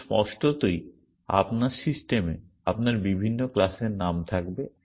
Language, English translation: Bengali, But obviously, you will have many different class names in your system